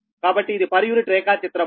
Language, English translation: Telugu, so this is per unit diagram